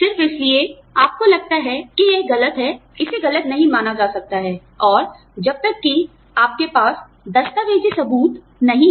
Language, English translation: Hindi, Just because, you feel it is wrong, it may not be considered wrong, and unless you have documentary evidence